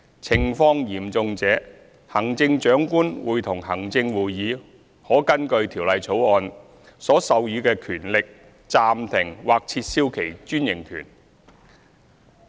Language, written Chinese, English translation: Cantonese, 情況嚴重者，行政長官會同行政會議可根據《條例草案》所授予的權力暫停或撤銷其專營權。, In serious cases the Chief Executive in Council may suspend or revoke its franchise with the power conferred by the Bill